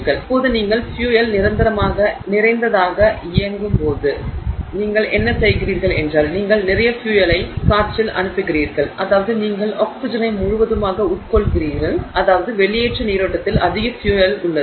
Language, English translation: Tamil, So, now when you run fuel rich, right, when you run fuel rich, what you are doing is you are sending in a lot of fuel which means you are completely consuming the oxygen, you have excess fuel in the exhaust stream